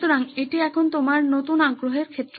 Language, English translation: Bengali, So, this is now your new area of interest